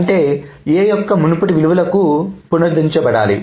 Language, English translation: Telugu, That means A's must be restored to the previous value